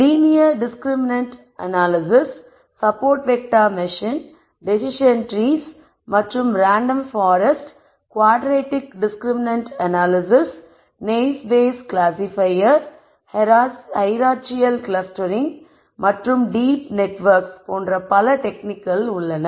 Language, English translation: Tamil, Then there are techniques such as Linear discriminant analysis, Support Vector Machines, Decision trees and random forests, Quadratic discriminant analysis, Naive Bayes classifier, Hierarchical clustering and many more such as deep networks and so on